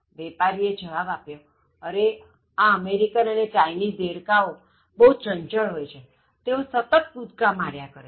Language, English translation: Gujarati, To which the vendor said, oh these American frogs and Chinese frogs, you know they are very active, so they keep on jumping